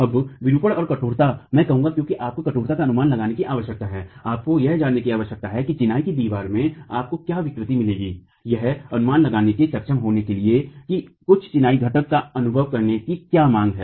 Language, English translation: Hindi, Now deformations and stiffnesses I would say because you need an estimate of stiffness, you need to know what deformations you will get in a masonry wall to be able to estimate what is the demand that certain masonry component is going to experience